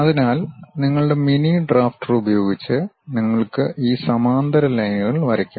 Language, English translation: Malayalam, So, using your mini drafter you can really draw these parallel lines